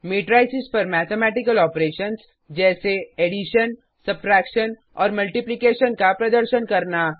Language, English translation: Hindi, Perform mathematical operations on Matrices such as addition, subtraction and multiplication